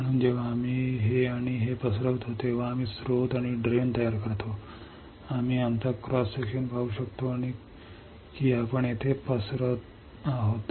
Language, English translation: Marathi, So, that when we diffuse this and this, we are creating source and drain, we can see our cross section see we are diffusing here